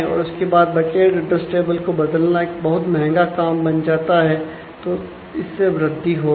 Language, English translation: Hindi, And then changing the bucket address table will become a quite an expensive operation